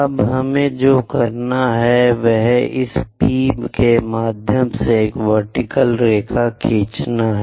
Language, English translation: Hindi, Now what we have to do is, draw a vertical line through this P